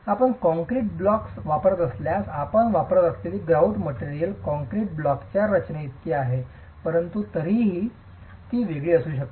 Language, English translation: Marathi, If you are using concrete blocks, the chances are that the grout material that you are using is close enough to the concrete blocks composition, but it still could be different